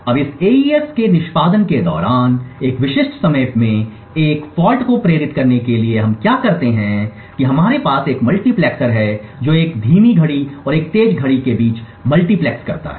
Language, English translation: Hindi, Now in order to induce a fault at a specific time during the execution of this AES what we do is we have a multiplexer which multiplexes between a slow clock and a fast clock